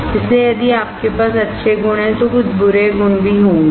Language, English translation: Hindi, So, if you have good qualities there would be some bad qualities too